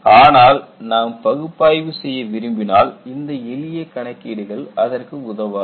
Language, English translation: Tamil, But if you really want to do an analysis, simple hand calculation would not help